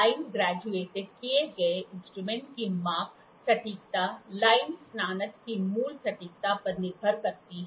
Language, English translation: Hindi, The measuring accuracy of line graduated instrument depends on the original accuracy of the line graduation